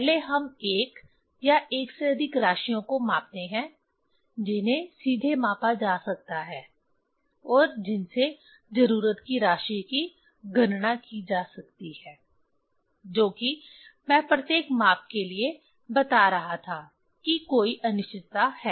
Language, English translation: Hindi, First we measure one or more quantities that can be measured directly and from which the quantity of interest can be calculated that is what I was telling for each measurement there is an uncertainty